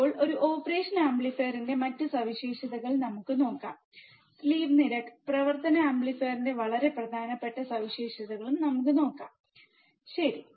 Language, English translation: Malayalam, Now, let us see the other characteristics of an operational amplifier which is the slew rate, very important characteristics of the operational amplifier let us see, slew rate right